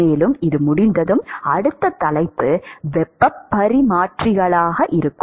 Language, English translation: Tamil, And, after this is done, the next topic will be heat exchangers